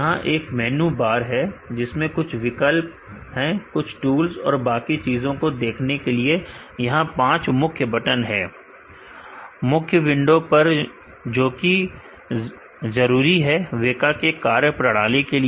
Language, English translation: Hindi, There is a menu bar which has few options to visualize tools and other things, there are five main buttons on the main window, that that is essential that the functionalities of the WEKA